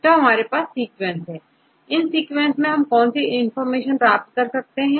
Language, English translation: Hindi, So, what can you do with the sequence, what are the information you can derive from the sequence